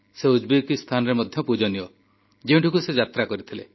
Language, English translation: Odia, He is revered in Uzbekistan too, which he had visited